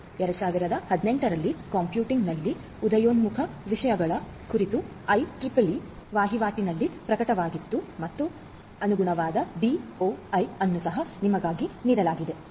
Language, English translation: Kannada, It was published in the IEEE Transactions on Emerging Topics in Computing in 2018 and the corresponding DOI is also given for you